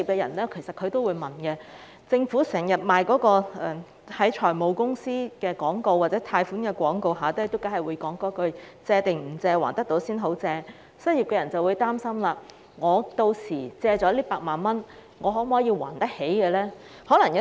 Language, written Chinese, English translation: Cantonese, 由於政府經常在財務公司或貸款廣告的結尾加插一句"借定唔借，還得到先好借"，一些失業人士可能會擔心，借到8萬元後是否有能力償還。, As the Government always includes a warning message at the end of advertisements of financial companies or loans saying that To borrow or not to borrow? . Borrow only if you can repay some unemployed people are probably worried about their ability to repay the 80,000 they borrow